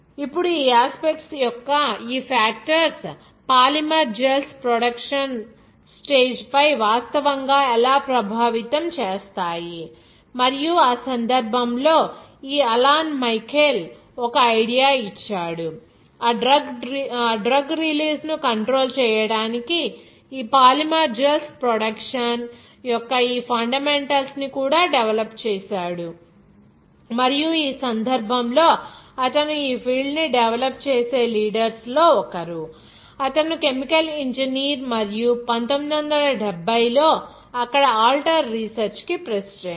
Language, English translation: Telugu, Now this aspects of this factors how actually affects on these polymer gels production stage and in that case this Alan Michael, He has given some Idea even he developed this fundamentals of these no polymer gels production to control that drug release and in this case, he was one of the leaders in developing this field but he was a chemical engineer and who was the president of also alter research in 1970 there